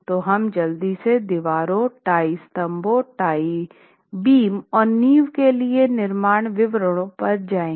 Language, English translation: Hindi, So, we will quickly go over construction details for walls, tie columns and tie beams and foundations and other aspects